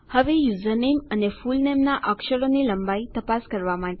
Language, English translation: Gujarati, Now to check the character length of username and fullname